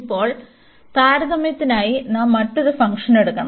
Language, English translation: Malayalam, And now for the comparison we have to take another function